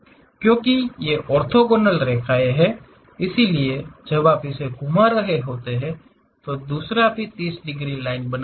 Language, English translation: Hindi, Because these are orthogonal lines; so when you are rotating it, the other one also makes 30 degrees line